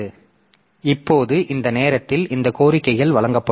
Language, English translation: Tamil, So, now now at this time these requests will be served